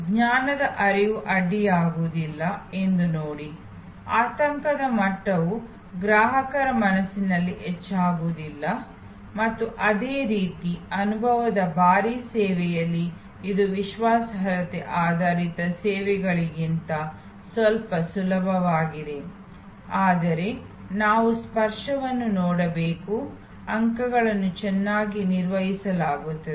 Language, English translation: Kannada, See that the knowledge flow is not interrupted, see that the anxiety level does not raise in the mind of the consumer and similarly, in the experience heavy services it is a bit easier than the credence based services, but we have to see that the touch points are well managed